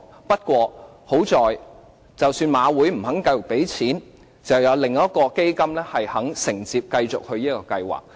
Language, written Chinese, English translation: Cantonese, 不過，還好，即使香港賽馬會不願意再投放資金，還有另一個基金願意承接這個計劃。, Fortunately even though the Hong Kong Jockey Club HKJC did not want to inject any more money another fund is willing to take over the programme